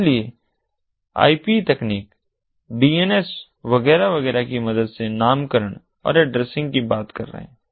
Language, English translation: Hindi, so we are talking about naming and addressing, different mechanisms of naming and addressing with the help of ip technology, dns, etcetera, etcetera